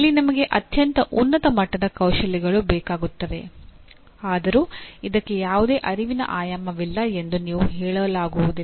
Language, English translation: Kannada, Here you require extremely high end skills though you cannot say that there is no cognitive dimension to this